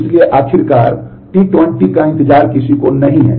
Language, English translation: Hindi, So, eventually and T 20 is waiting for none